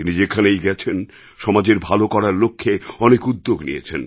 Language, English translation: Bengali, Wherever he went, he took many initiatives for the welfare of the society